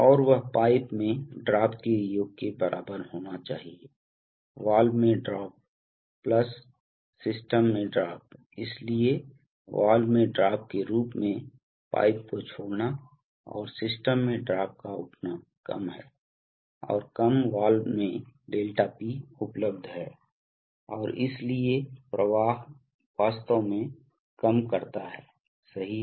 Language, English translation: Hindi, And that must be equal to the sum of the drop in pipes, drop in the valve, plus, drop in the system, so as the drop in the valve, dropping the pipe and the drop in the system raises, there is little, less and less ∆P available across the valve and so the flow actually reduces right